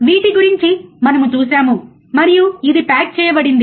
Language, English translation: Telugu, We have seen this and it is packaged